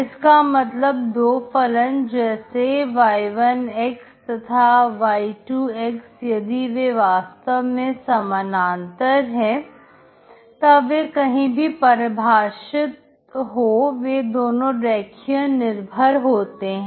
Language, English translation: Hindi, That means two functions like y1, and y2 if they are exactly parallel, wherever they defined they are linearly dependent